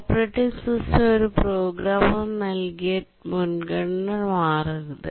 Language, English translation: Malayalam, The operating system should not change a programmer assigned priority